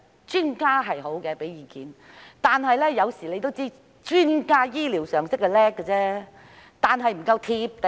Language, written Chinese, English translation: Cantonese, 專家的意見是好的，但大家都知道，專家雖然醫療常識了得，但卻不夠"貼地"。, Yet as we all know though experts have excellent medical knowledge they are not down to earth